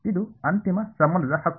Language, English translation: Kannada, This is the final relation right